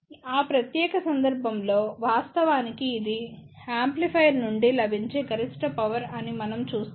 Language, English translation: Telugu, In that particular case, we actually say that this is the maximum available power from an amplifier